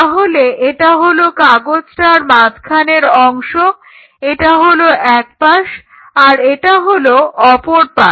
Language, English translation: Bengali, So, this is a kind of a central part this is the side and this is the other side